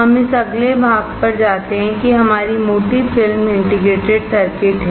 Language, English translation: Hindi, So, we move to this next section which is our thick film integrated circuit